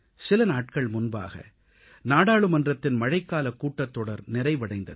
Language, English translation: Tamil, The monsoon session of Parliament ended just a few days back